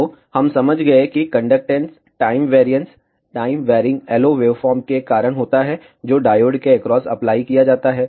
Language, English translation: Hindi, So, we understood that the conductance time variance is because of the time varying LO wave form, that is applied across the diode